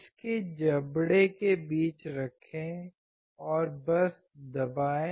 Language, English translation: Hindi, Place it in between its jaw and just press it